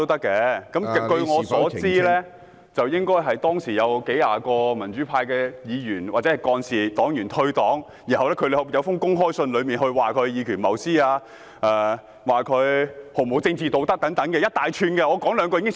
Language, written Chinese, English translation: Cantonese, 據我所知，有數十名民主黨的議員、幹事或黨員在退黨後撰寫了一封公開信，批評林卓廷議員以權謀私、毫無政治道德等，我只說其中一二。, As far as I know dozens of councilors executives and members of the Democratic Party who resigned their party memberships wrote an open letter denouncing Mr LAM Cheuk - ting for taking advantage of his position for personal gains and lacking political morals to mention just a few of their criticisms